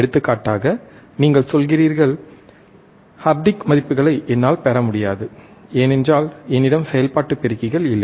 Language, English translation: Tamil, For example, you say that, Hardik, I cannot I cannot get the values, because I do not have the operational amplifiers